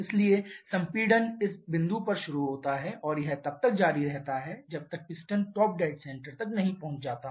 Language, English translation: Hindi, So, compression starts at this point and it continues till the piston reaches the top dead center